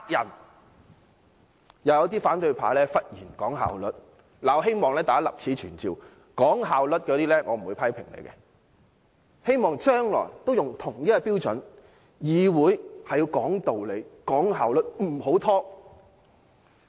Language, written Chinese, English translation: Cantonese, 又有一些反對派議員忽然講求效率，我希望立此存照，那些講求效率的議員，我不會批評，但希望將來都用同一標準對待所有議員。, Meanwhile some opposition Members have suddenly demanded efficiency . I wish to put in record that while I will not criticize these Members I hope that they will apply the same standards to all Members in the future